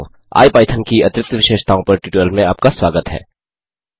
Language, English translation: Hindi, Hello friends and welcome to the tutorial on Additional Features of IPython